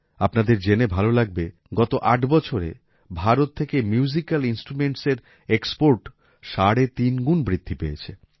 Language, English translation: Bengali, You will be pleased to know that in the last 8 years the export of musical instruments from India has increased three and a half times